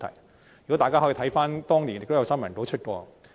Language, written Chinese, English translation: Cantonese, 詳情大家可以翻查當年的新聞稿。, For details please refer to the press releases back then